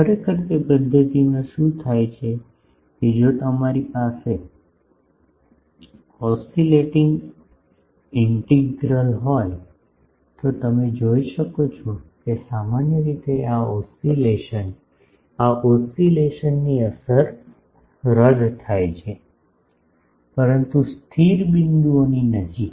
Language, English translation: Gujarati, Actually, in that method what happens that if you have an oscillating integral, you can see that generally, the oscillation, the effect of this oscillation, cancels out, but near the stationary points